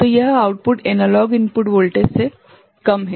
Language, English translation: Hindi, So, this output is lower than the analog input voltage